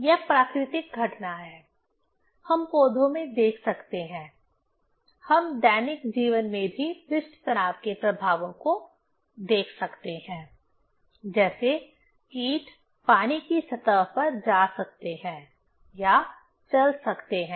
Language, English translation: Hindi, This is the natural phenomena, we can see in plants; also we can see the effects of surface tension in daily life; like insects can move or walk on the water surface